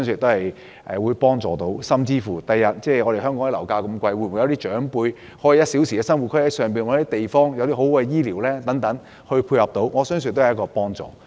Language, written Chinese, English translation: Cantonese, 香港的樓價這麼高，有些長輩可以利用這個 "1 小時生活圈"，在內地尋找居所，配合良好的醫療，我相信亦有幫助。, The property prices are very high in Hong Kong . With good health care support elderly people can take advantage of this one - hour living circle and look for residence in the Mainland . I believe this will also be helpful